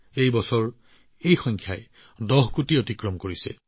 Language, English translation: Assamese, This year this number has also crossed 10 crores